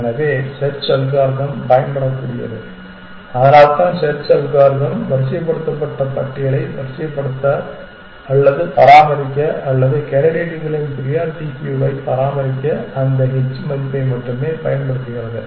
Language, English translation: Tamil, So, that is the search algorithm can exploit that is why the search algorithm goes it only uses that h value to sort or maintain a sorted list or maintain a priority queue of the candidates essentially